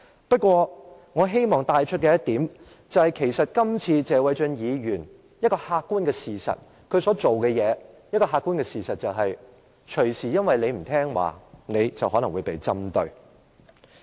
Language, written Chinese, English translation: Cantonese, 不過，我希望帶出一點，就是謝偉俊議員今次所做的，造成了一個客觀事實，就是議員隨時可能因為不聽話而被針對。, However I would like to raise one point . The current practice of Mr Paul TSE has created the objective fact that Members may be targeted anytime they are not acting obediently